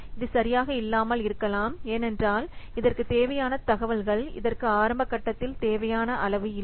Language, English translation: Tamil, It may be inaccurate because the necessary information may not be available in the early phase